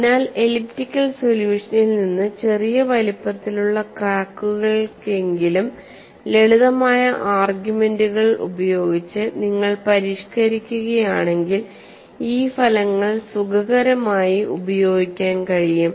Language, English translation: Malayalam, So, from the elliptical solution, if you modify with simpler arguments at least for small sized cracks, these results could be comfortably utilized that is how people have proceeded